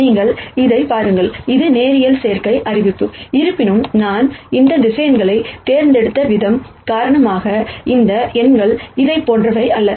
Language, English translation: Tamil, So, if you look at this, this is the linear combination notice; however, because of the way I have chosen these vectors, these numbers are not the same as this